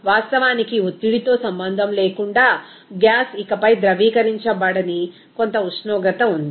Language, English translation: Telugu, In fact, there is some temperature above which the gas can no longer be liquefied regardless of pressure